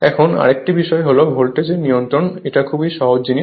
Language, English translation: Bengali, Now, another thing is the voltage regulation; this is very simple thing